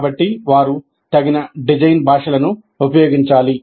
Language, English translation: Telugu, So they must use appropriate design languages